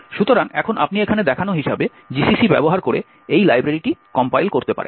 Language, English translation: Bengali, So, now you can compile this library by using GCC as shown over here